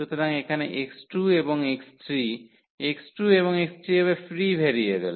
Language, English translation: Bengali, So, here x 2 and the x 3; x 2 and x 3 will be will be free variables so, there will be free variables now free variables